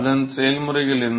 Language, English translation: Tamil, So, what are the processes